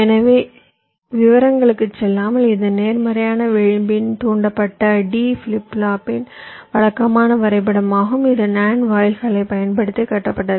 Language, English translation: Tamil, so, without going into the detail, this is a typical diagram of a positive edge triggered d flip flop constructed using nand gates